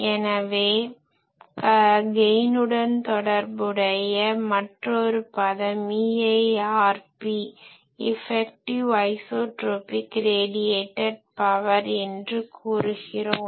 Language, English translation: Tamil, So, the transmitter people sometimes use another term which is related to this gain that is called EIRP; effective isotropic radiated power EIRP